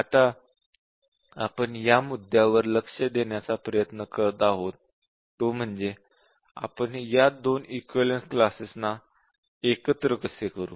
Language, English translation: Marathi, Now the issue that we are trying to address now is that, how do we combine these two equivalence classes